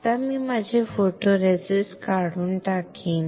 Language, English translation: Marathi, Now I will strip off my photoresist